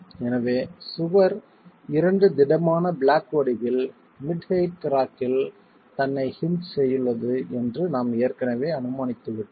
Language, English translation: Tamil, So we are already assuming that the wall is in the form of two rigid blocks hinged at the mid height crack itself